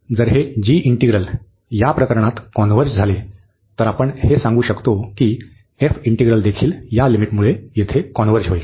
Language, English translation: Marathi, So, if this integral converges in this case this g integral, then we can tell that this integral f will also converge because of this limit here